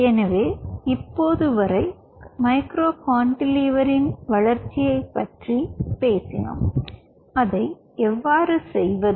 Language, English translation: Tamil, ok, so as of now, we have talked about the development of micro cantilever, how we do it